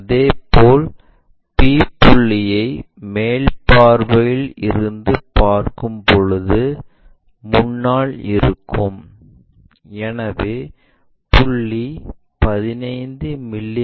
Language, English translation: Tamil, Similarly, p point when we are looking from top view that is in front, so 15 mm below